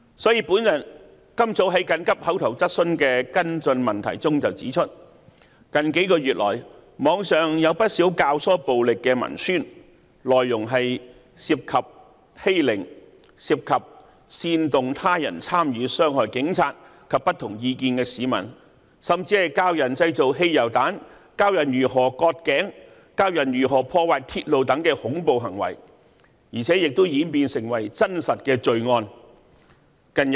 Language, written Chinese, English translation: Cantonese, 正如我今早在緊急口頭質詢的跟進質詢中指出，近幾個月來，網上有不少教唆暴力的文宣，內容涉及欺凌，涉及煽動他人參與傷害警察及持不同意見的市民，甚至教人製造汽油彈、教人如何割頸、教人如何破壞鐵路等恐怖行為，而且亦演變成真實罪案。, Just as I pointed out in my supplementary question during this mornings urgent question session that over the past few months propaganda inciting violence could be found on the Internet and the contents of such propaganda included cyber - bullying inciting people to harm police officers and people of dissenting views and even encouraging people to engage in terrorist activities such as how to make petrol bombs how to cut other peoples throats and how to vandalize railways . Such propaganda has resulted in real - life criminal cases